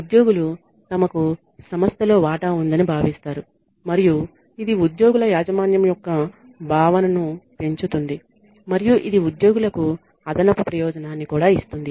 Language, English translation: Telugu, Employees feel that they have a stake in the organization and it increases the ownership the feeling of ownership by the employees and it also gives the employees additional benefit